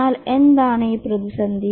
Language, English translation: Malayalam, But what is this crisis